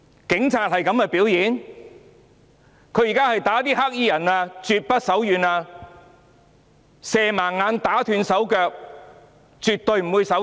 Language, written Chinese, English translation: Cantonese, 警察毆打黑衣人絕不手軟，射盲他人眼睛，打斷他人手腳也絕不手軟。, The police officers showed no leniency in beating up the black - clad men shooting at peoples eyes and blinding them and breaking peoples arms and legs